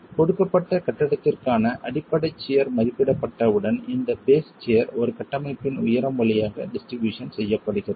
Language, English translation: Tamil, Once the base share is estimated for a given building, this base share is then distributed along the height of a structure